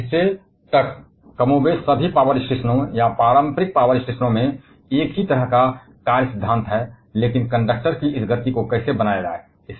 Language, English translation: Hindi, Now up to that part, more or less all power stations or conventional power stations have the same kind of working principle, but how to create this motion of the conductor